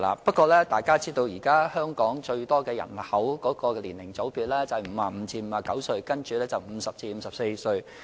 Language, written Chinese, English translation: Cantonese, 不過，大家也知道，現時佔香港人口最多的年齡組別為55歲至59歲，然後是50歲至54歲。, As Members are aware the largest age group in Hong Kong now is 55 to 59 to be followed by the one between 50 and 54